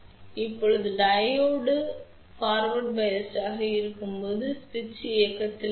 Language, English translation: Tamil, So, now when the Diode is forward bias so, then switch would be on